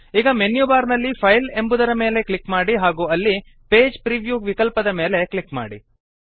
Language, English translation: Kannada, Now click on the File menu in the menu bar and then click on the Page preview option